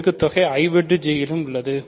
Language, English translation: Tamil, So, the product is in I intersection J